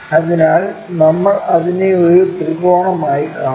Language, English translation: Malayalam, So, we will see it like a triangle